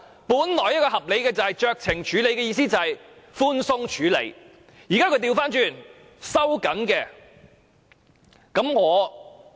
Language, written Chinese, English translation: Cantonese, 本來酌情處理的意思是寬鬆處理，但現時卻反過來收緊了。, Initially the provision of discretion is to give room for leniency but now it is being used reversely to tighten the restriction